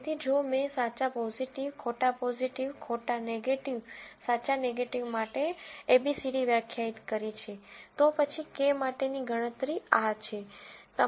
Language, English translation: Gujarati, So, if I have abcd defined as true positive, false positive, false negative, true negative, then the calculation for Kappa is this